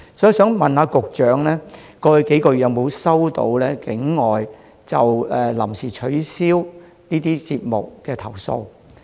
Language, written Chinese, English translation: Cantonese, 我想問局長，過去數月有否收到境外就臨時取消節目的投訴？, May I ask the Secretary Have you received any complaints from overseas visitors about cancellation of events at short notice in recent months?